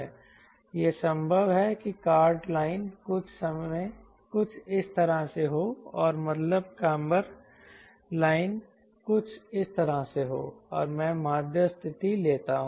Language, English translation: Hindi, ok, it is possible that the chord line is something like this and mean camber line is something like this and i take the mean position